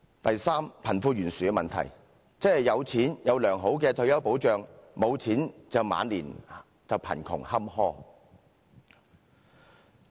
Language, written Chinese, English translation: Cantonese, 第三，貧富懸殊的問題，即有錢有良好的退休保障，無錢則晚年貧窮坎坷。, Third it is the wealth gap problem that is the rich enjoys good retirement protection but the poor suffers from poverty and misfortune at old age